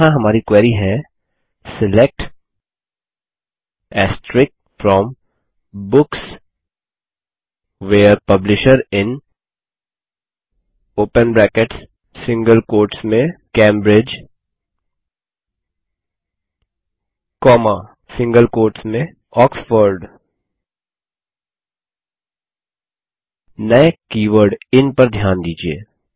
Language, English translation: Hindi, And here is our query: SELECT * FROM Books WHERE Publisher IN ( Cambridge, Oxford) Notice the new keyword IN